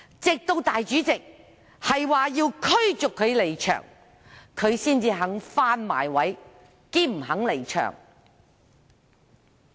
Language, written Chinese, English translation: Cantonese, 直至主席表示要驅逐他離場，他才願意返回座位，且不願離場。, Only when the President said he would be expelled did he return to his seat still unwilling to leave